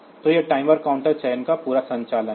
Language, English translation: Hindi, So, that is the whole operation of this timer counter selection